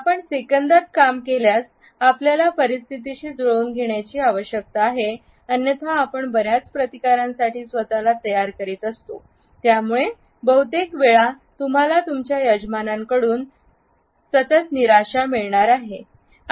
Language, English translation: Marathi, If you work in seconds then you need to adapt otherwise you are going to set yourself up for a lot of resistance from your hosts and you are going to get constant disappointment